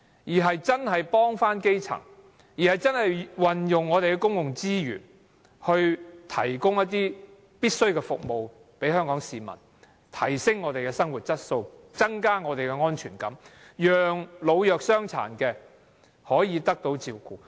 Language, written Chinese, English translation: Cantonese, 政府應該幫助基層，運用公共資源向香港市民提供必需的服務，提升我們的生活質素，增加我們的安全感，讓老弱傷殘得到照顧。, Instead of only helping the consortia or the upper middle classes the Government should help the grass roots and make use of public resources to provide necessary services to Hong Kong people so as to improve their quality of life increase their sense of security and take care of the elderly and the disabled